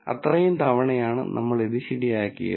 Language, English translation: Malayalam, Those are the number of times, we got this right